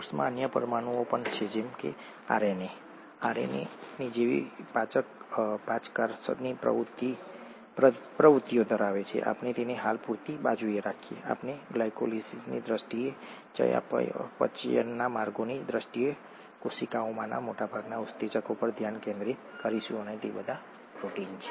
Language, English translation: Gujarati, There are other molecules in the cell that have enzymatic activities such as RNA, we will keep that aside for the time being, we’ll just focus on the majority of enzymes in the cell in terms of glycolysis, in terms of metabolic pathways and they are all proteins